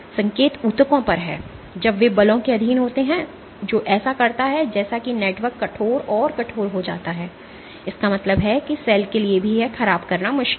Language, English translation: Hindi, The point is in tissues when they are subjected to forces what this does is as the network becomes stiff and stiff; that means, that for the cell also it is difficult to deform